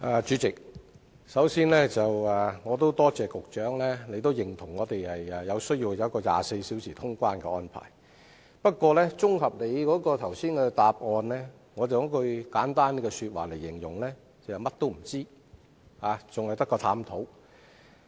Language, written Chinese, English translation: Cantonese, 主席，我首先感謝局長也認同香港需要實施24小時的通關安排，但局長剛才的答覆，我卻可以簡單概括為"除探討外，甚麼都不知道。, President first of all I would like to thank the Secretary for recognizing the need of Hong Kong to have round - the - clock clearance service but the reply of the Secretary can be summarized as knowing nothing except the issues being considered